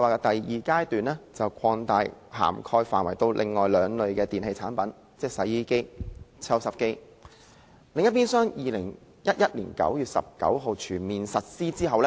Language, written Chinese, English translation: Cantonese, 第二階段把涵蓋範圍擴大至另外兩類電器產品，即洗衣機和抽濕機，並於2011年9月19日全面實施。, The second phase the scope of which was extended to cover two additional types of electrical appliances ie . washing machines and dehumidifiers was fully implemented on 19 September 2011